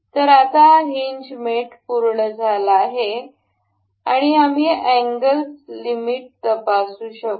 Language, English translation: Marathi, So, now, this hinge mate is complete and we can check for the angle limits